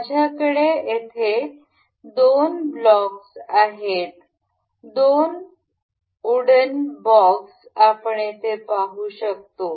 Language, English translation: Marathi, I have two blocks here, two wooden blocks we can see here